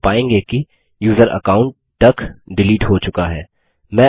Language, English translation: Hindi, We will find that, the user account duck has been deleted